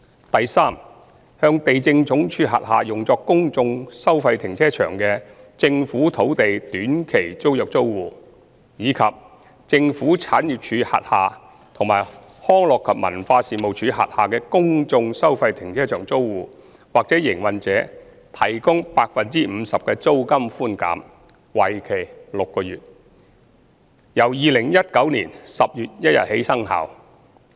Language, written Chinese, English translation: Cantonese, 第三，向地政總署轄下用作公眾收費停車場的政府土地短期租約租戶，以及政府產業署轄下和康樂及文化事務署轄下公眾收費停車場租戶或營運者提供 50% 的租金寬減，為期6個月，由2019年10月1日起生效。, Thirdly the rental for short - term tenancies for government land for fee - paying public car parks under the Lands Department as well as the rental for fee - paying public car parks under the Government Property Agency and Leisure and Cultural Services Department will be reduced by 50 % for six months with retrospective effect from 1 October 2019